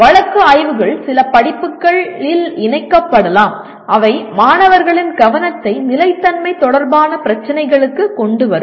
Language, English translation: Tamil, Case studies can be incorporated in some courses that will bring the attention of the students to sustainability issues